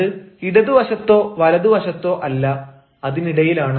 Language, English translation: Malayalam, and then it is neither left nor right, but in and between